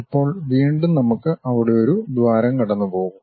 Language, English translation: Malayalam, Now, its again we will be having a hole passing all the way there